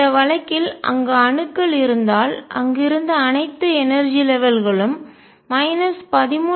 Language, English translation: Tamil, In the case where atoms are there the all the energy levels that were there separated at minus 13